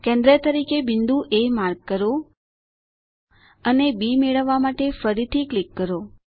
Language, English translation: Gujarati, Mark a point A as a centre and click again to get B